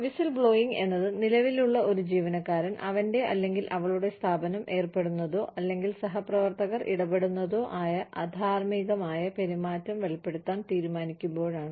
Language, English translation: Malayalam, Whistleblowing is, when a current employee, decides to reveal unethical behavior, that his or her organization is indulging in, or peers are indulging in, etcetera